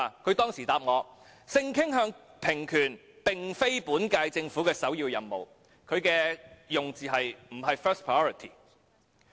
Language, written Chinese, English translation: Cantonese, 她當時回答我說性傾向平權並非本屆政府的首要任務，她的用詞是"不是 first priority"。, She answered me that equality for sexual orientation was not a primary task for the current - term Government; in her own words it was not the first priority